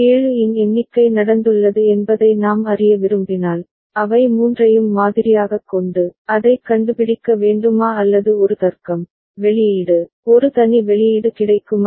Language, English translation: Tamil, But to the external world if we want to know that a count of 7 has taken place, do we need to sample all three of them, and figure it out or we can make a logic, an output, a separate output available which will go high whenever the count of 7 takes place ok